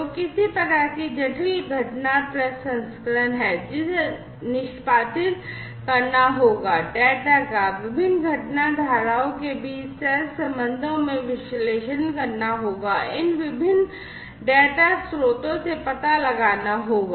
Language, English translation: Hindi, So, there is some kind of complex event processing, that will have to be executed, the data will have to be analyzed correlations between different event streams will have to be found out from these different data sources and so on